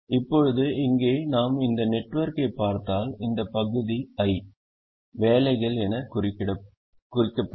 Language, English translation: Tamil, now here, if we look at this network, this, this part, is the i, the jobs